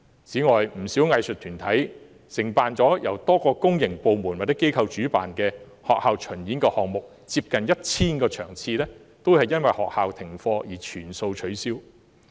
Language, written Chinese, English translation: Cantonese, 此外，不少藝術團體也承辦了由多個公營部門或機構主辦的學校巡演項目，有接近 1,000 場次也由於學校停課而要全數取消。, Moreover many arts groups have undertaken school tour projects organized by various public departments or organizations of which almost 1 000 performances have to be fully cancelled owing to school suspension